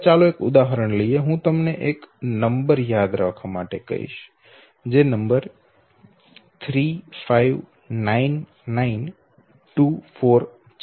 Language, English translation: Gujarati, Now let us take an example, I ask you to memorize a number okay, and the number is 359924